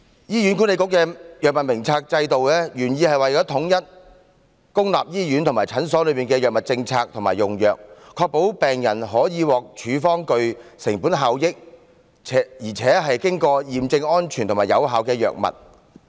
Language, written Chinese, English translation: Cantonese, 醫院管理局的藥物名冊制度原意為統一公立醫院和診所的藥物政策和用藥，確保病人可獲處方具成本效益，且經過驗證安全和有效的藥物。, The Drug Formulary of the Hospital Authority HA is meant to ensure equitable access by patients to cost - effective drugs of proven safety and efficacy through standardization of drug policy and drug utilization in all public hospitals and clinics